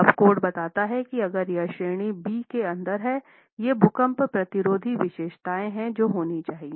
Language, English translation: Hindi, The code then tells you that if it is in category B these are the earthquake resistant features that must be there